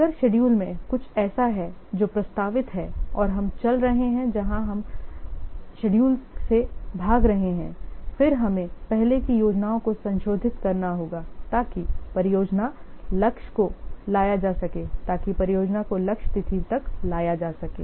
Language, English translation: Hindi, If in schedule something is what proposed and we are running out away from the schedule, then we have to revise the earlier plans so as to bring the project target so as to what so as to bring the project to the target date